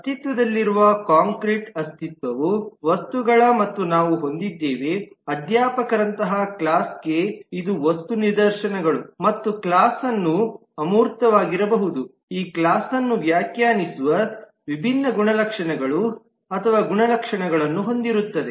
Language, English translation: Kannada, The concrete entity that exists are objects and we have seen that for the class, like faculty, this could be the objecting stances, and class as an abstract will have different properties or attributes that define this task